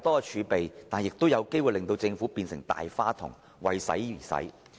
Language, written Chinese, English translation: Cantonese, 儲備太多可能會令政府變成"大花筒"及"為使而使"。, Excessive fiscal reserves may prompt the Government to be a spendthrift and spend money for the sake of spending money